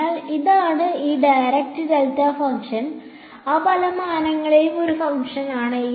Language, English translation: Malayalam, So, this is this dirac delta function is a function in those many dimensions